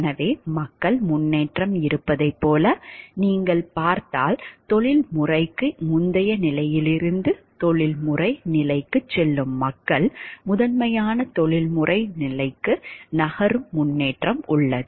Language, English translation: Tamil, So, this is if you see like there is a progression of people, there is a progression of people moving from the pre professional stage to the professional stage to moving to the stage of principal the professional